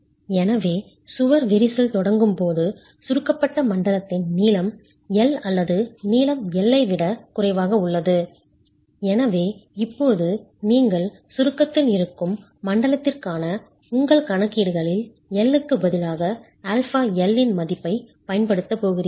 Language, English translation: Tamil, So as the wall starts cracking, the length of the compressed zone is less than the original length L and therefore now you're going to be using the value of alpha L instead of L in your calculations for the zone that is in compression